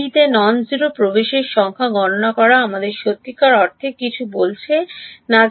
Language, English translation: Bengali, Counting the number of non zero entries in b does not really tell us anything is there something else that is happening